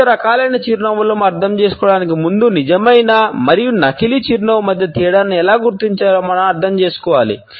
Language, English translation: Telugu, Before going further into understanding different types of a smiles, we must understand how to differentiate between a genuine and a fake smile